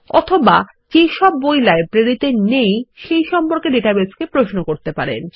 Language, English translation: Bengali, Or we can query the database for all the books that are not in the Library